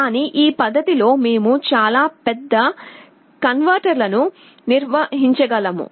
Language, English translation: Telugu, But it is very simple we can built very large converters